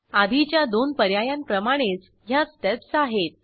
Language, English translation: Marathi, The steps are similar to the earlier two options